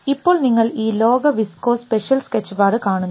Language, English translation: Malayalam, Now you see this world viscous special sketchpad